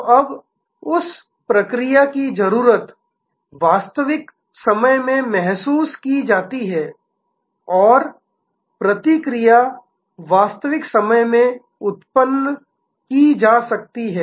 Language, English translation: Hindi, So, now, that response, that need is felt in real time and response can be generated in real time